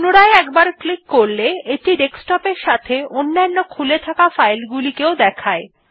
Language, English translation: Bengali, If we click this again, it shows the Desktop, along with the files already open